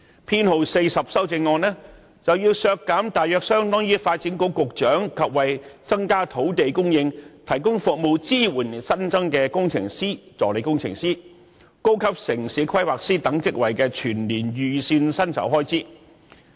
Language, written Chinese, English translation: Cantonese, 他亦提出修正案編號 42， 要求削減大約相當於發展局局長及為增加土地供應提供服務支援而新增的工程師/助理工程師及高級城市規劃師等職位的全年預算薪酬開支。, He also raises Amendment No . 42 asking for the reduction of an amount equivalent to the annual estimated expenditure on the personal emoluments for the Secretary for Development as well as positions which include engineerassistant engineer and senior town planner which are newly created for the provision of service support to increase land supply